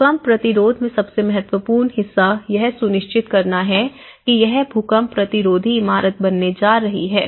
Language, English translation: Hindi, The most important part in earthquake resistance is you have to ensure that this is going to be an earthquake resistant building